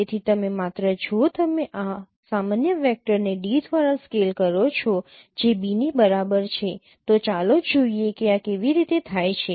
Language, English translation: Gujarati, So you just if you just scale this normal vector by d that is equal to b